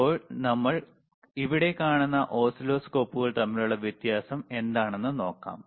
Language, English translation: Malayalam, Now let us see that what how the what is the difference between the oscilloscope that we see here